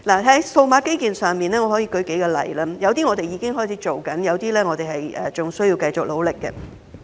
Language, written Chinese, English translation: Cantonese, 在數碼基建方面我可以舉數個例子，有些我們已開展，有些則仍須繼續努力。, As far as digital infrastructure is concerned I can cite a few examples . Some are already underway while others still require further efforts